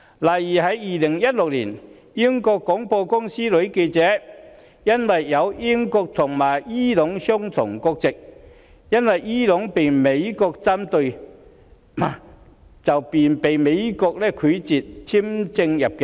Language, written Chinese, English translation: Cantonese, 例如 ，2016 年，英國廣播公司女記者持有英國和伊朗雙重國籍，由於美國針對伊朗，美國便拒絕向她發出入境簽證。, For example in 2016 a BBC female reporter with a dual British and Iranian nationality was refused an entry visa to the United States because Iran was a rival country of the United States